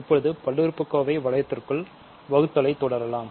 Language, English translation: Tamil, So, ok, let us continue now with division inside the polynomial ring